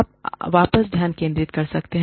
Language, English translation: Hindi, You can focus back